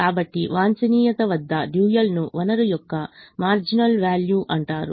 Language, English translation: Telugu, therefore this resource, the dual, is called marginal value of the resource at the optimum